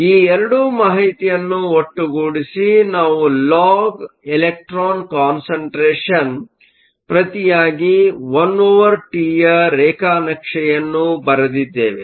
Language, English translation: Kannada, Putting these 2 information together, we did a plot of the log of the electron concentration versus 1 over T